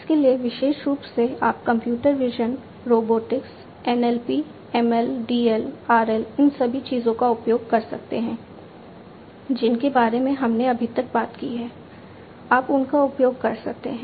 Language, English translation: Hindi, So, for this specifically you could use computer vision, robotics, NLP, ML, DL, RL all of these things that we have talked about so far you could use them